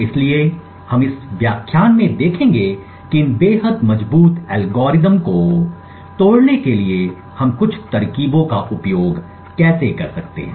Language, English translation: Hindi, So what we will see in this lecture is how we could use a few tricks to break these extremely strong algorithms